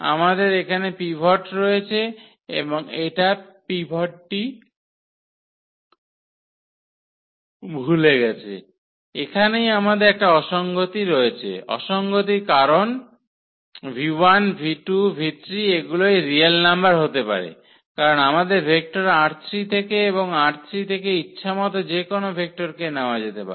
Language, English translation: Bengali, That here we have pivot here also we have a pivot and this forget about the pivot we have the inconsistency here, while inconsistency because this v 1 v 2 v 3 they these are they can be any real number because our vector here is from R 3 and say any arbitrary vector from R 3